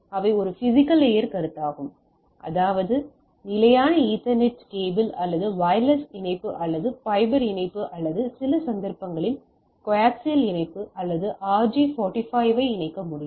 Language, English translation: Tamil, So, they have a physical layer consideration; that means, the you can connect RJ45 like our standard ethernet cables or wireless connectivity or fiber connectivity or in some cases coax connectivity etcetera right